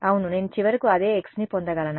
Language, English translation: Telugu, Yeah, will I get finally, the same x